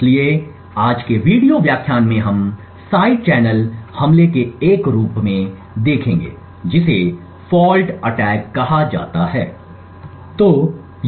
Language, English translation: Hindi, So, in today’s video lecture we will be looking at another form of side channel attack known as a fault attack